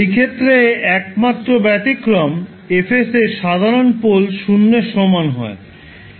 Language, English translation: Bengali, The only exception in this case is the case when F of s simple pole at s equal to 0